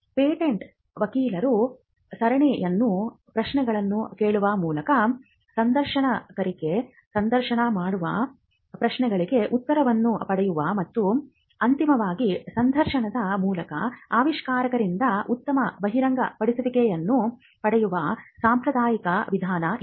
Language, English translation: Kannada, This is the traditional way in which the patent attorney interviews the inventor asks a series of questions, gets replies to the questions and eventually will be able to get a good disclosure from the inventor through the interview